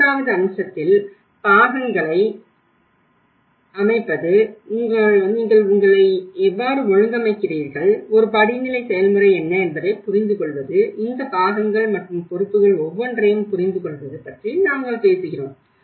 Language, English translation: Tamil, Third aspect we talk about the set up the roles, how you organize yourself, understand what is a hierarchical process, what is the understand each of these roles and responsibilities